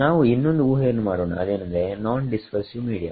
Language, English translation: Kannada, Let us make one further assumption that it is a non dispersive media